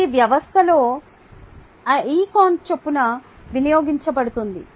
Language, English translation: Telugu, it could be consumed in the system at a rate of r con